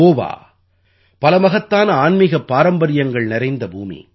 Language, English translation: Tamil, Goa has been the land of many a great spiritual heritage